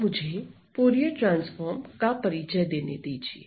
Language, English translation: Hindi, So, let me now introduce the Fourier transform